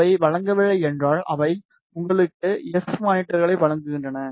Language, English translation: Tamil, If they do not provide, they provide you S parameters